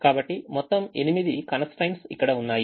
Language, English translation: Telugu, so there are eight constraints here